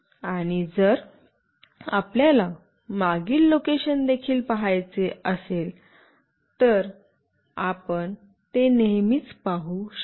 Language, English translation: Marathi, And if you want to see the past location as well, you always can see that